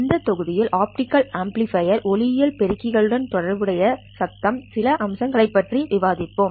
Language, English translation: Tamil, In this module we will discuss some aspects of noise associated with optical amplifiers